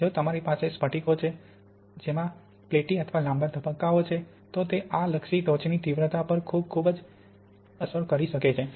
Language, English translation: Gujarati, If you have crystals which are platy or long phases like this, they tend to be oriented and this can make a very, very strong impact on the intensity of the peak